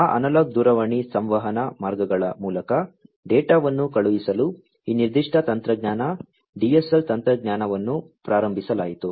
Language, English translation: Kannada, In order to send data over those analog telephone communication lines, this particular technology, the DSL technology was started